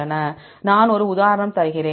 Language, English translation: Tamil, I give one example